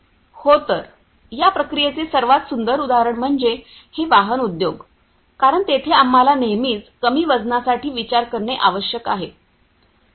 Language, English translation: Marathi, So, the most you know the beautiful example of this process is that you know this automobile industry, because there we need to always think for this light weighting